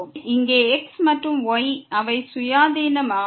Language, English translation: Tamil, So, here x and y they are the independent variable